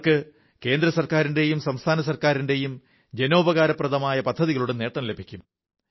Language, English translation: Malayalam, They will now be able to benefit from the public welfare schemes of the state and central governments